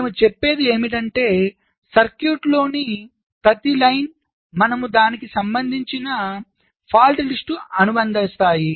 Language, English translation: Telugu, so the concept is that for every line in the circuit we associate a fault list